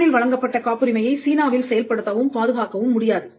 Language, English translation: Tamil, Patents granted in Japan cannot be enforced or protected in China